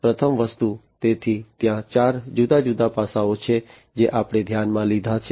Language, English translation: Gujarati, The first thing, so there are four different facets that we have considered